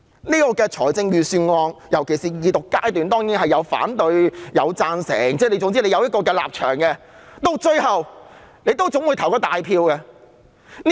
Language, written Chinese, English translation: Cantonese, 在這份預算案的辯論尤其是二讀階段中，當然有反對和贊成的聲音，各有立場，而到最後大家會進行表決。, In this Budget debate particularly at the Second Reading stage there are certainly voices for and against it with different stances and Members will eventually put it to a vote